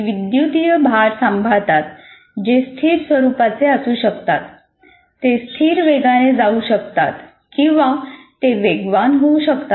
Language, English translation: Marathi, And electrical charges can be static in nature or they can be moving at a constant velocity or they may be accelerating charges